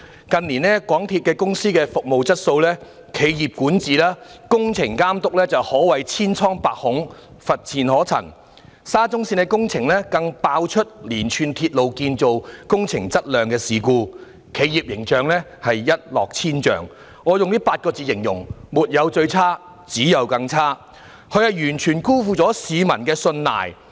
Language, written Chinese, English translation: Cantonese, 近年港鐵公司的服務質素、企業管治及工程監督可謂千瘡百孔，乏善可陳，沙田至中環線工程更爆出連串鐵路建造工程質量事故，企業形象一落千丈，我以8個字來形容，是"沒有最差，只有更差"，港鐵公司完全辜負了市民的信賴。, A series of quality problems are found in the construction works of the Shatin to Central Link SCL . Its corporate image is seriously tarnished . If I were to describe it I will say that MTRCL has not reached its worst performance and the worse is yet to come